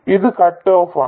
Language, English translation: Malayalam, This is cut off